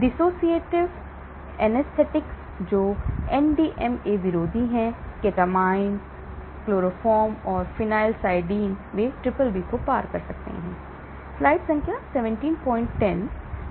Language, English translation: Hindi, Dissociative anaesthetics, which are NDMA antagonists; ketamine, chloroform and phencyclidine, they also cross BBB